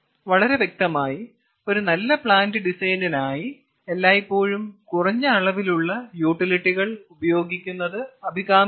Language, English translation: Malayalam, so obviously for a good plan design it will be always desirable to use less amount of utilities